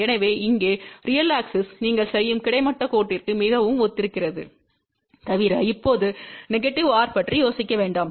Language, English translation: Tamil, So, here real axis is very similar to that horizontal line which you do except that do not now thing about a negative r